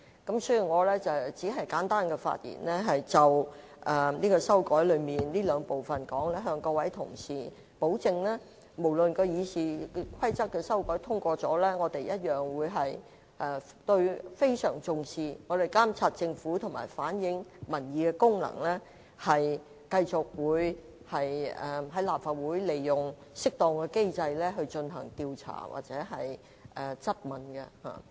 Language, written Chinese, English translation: Cantonese, 我是次簡單發言，是要就今次修訂中這兩個部分，向各位同事保證即使《議事規則》的修訂獲得通過，我們仍會相當重視監察政府和反映民意的功能，繼續在立法會利用適當機制進行調查或質詢。, My brief speech on these two parts of the current amendments to the Rules of Procedure is made with a view to assuring to fellow colleagues that after passage of these amendments we will continue to attach much importance to our functions of monitoring the Government and reflecting public opinion and use the appropriate mechanism in the Legislative Council for conducting inquiries or asking questions